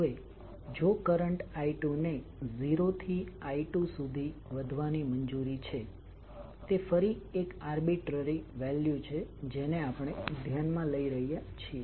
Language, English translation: Gujarati, Now if current I 2 is allowed to increase from 0 to say capital I 2 that is again an arbitrary value we are considering